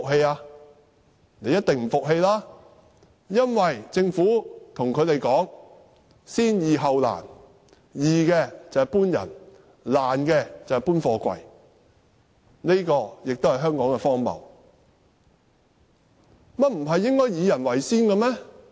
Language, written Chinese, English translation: Cantonese, 他們一定不服氣，因為政府對他們說"先易後難"，"易"的就是要求村民離開，"難"的就是移走貨櫃。, Surely they will not because the Government claimed that it would work on the easier tasks first and the more difficult ones later . The easy task is to evict villager while the difficult task is to move away the containers